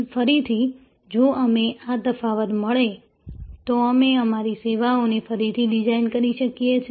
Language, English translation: Gujarati, Again, if we find this gap, we can redesign our services